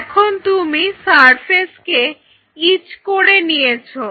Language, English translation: Bengali, Now, once you have etched the surface